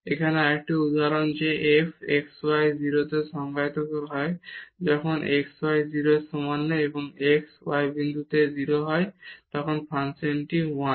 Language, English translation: Bengali, Another example here that f x y is defined at 0 when x y not equal to 0 and when x y the product is 0 then this function is 1